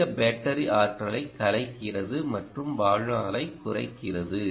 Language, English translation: Tamil, dissipating, dissipates more battery energy and reduces the lifetime